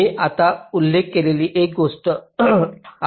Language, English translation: Marathi, this is one thing i just now mentioned